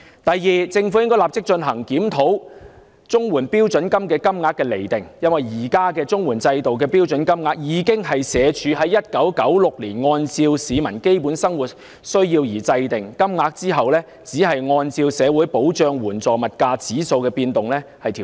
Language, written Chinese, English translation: Cantonese, 第二，政府應立即檢討綜援標準金額，因為綜援制度現時的標準金額，是社會福利署在1996年按照市民的基本生活需要而釐定，其後只是按照社會保障援助物價指數的變動作調整。, Second the Government should immediately review the CSSA standard rates since the existing standard rates under the CSSA system were determined by the Social Welfare Department SWD in 1996 in accordance with the basic needs of living of the public whereas adjustments have only been made afterwards on the basis of the Social Security Assistance Index of Prices